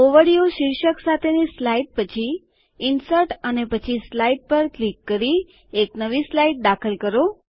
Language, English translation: Gujarati, Insert a new slide after the slide titled Overview by clicking on Insert and Slide